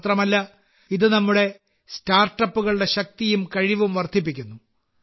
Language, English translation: Malayalam, Not only that, it also enhances the strength and potential of our startups